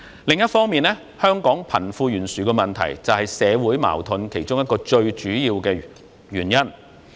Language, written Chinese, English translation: Cantonese, 另一方面，香港貧富懸殊問題是社會矛盾的其中一個最主要原因。, Meanwhile the problem of wealth disparity is one of the main reasons for the social conflicts in Hong Kong